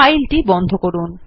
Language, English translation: Bengali, Now close this file